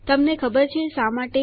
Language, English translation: Gujarati, Do you know why